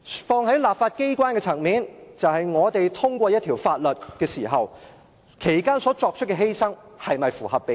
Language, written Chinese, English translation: Cantonese, 放在立法機關的層面，就是我們在通過一項法例時，作出的犧牲是否符合比例。, In the context of the legislature proportionality means whether the sacrifice to be made is proportional to the gain from the passage of the law